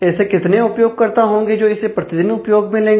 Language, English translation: Hindi, How many users will use that every day and so on